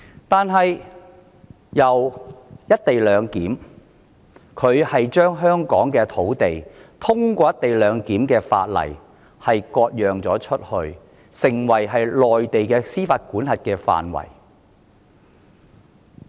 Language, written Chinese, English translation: Cantonese, 但從"一地兩檢"開始，她透過"一地兩檢"的條例割出香港土地，納入內地的司法管轄範圍。, But starting from the co - location arrangement she has ceded Hong Kongs land to the jurisdiction of the Mainland by virtue of the co - location legislation